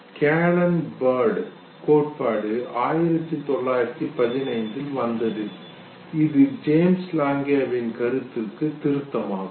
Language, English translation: Tamil, Cannon Bard theory came in 1915, and this was further revision of the James Lange’s viewpoint